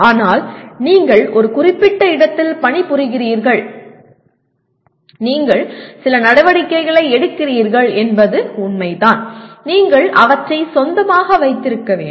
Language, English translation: Tamil, But the fact that you are working in a certain place and you are taking some actions, you have to own them